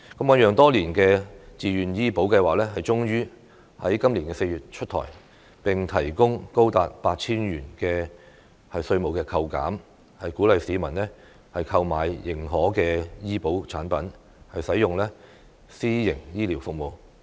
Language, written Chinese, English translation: Cantonese, 醞釀多年的自願醫保計劃終於在今年4月出台，並提供高達 8,000 元的年度稅務扣減，鼓勵市民購買認可的醫保產品，使用私營醫療服務。, The Voluntary Health Insurance Scheme which had been deliberated for years was ultimately rolled out in April this year under which an annual tax deduction of up to 8,000 will be provided to encourage the public to purchase certified health insurance plans and access private health care services